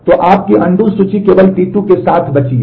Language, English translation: Hindi, So, your undo list is left with only T 2